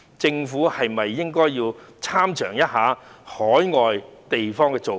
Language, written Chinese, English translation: Cantonese, 政府是否應該要參詳一下海外的做法？, Should the Government make some reference to the overseas practice?